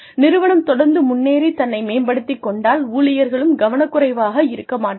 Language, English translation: Tamil, If your organization is constantly evolving, and constantly improving itself, the employees will also not become complacent